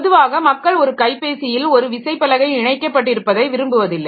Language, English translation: Tamil, So, normally people will not like to attach a keyboard with a cell phone